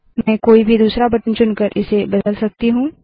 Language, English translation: Hindi, I can change this by choosing any other button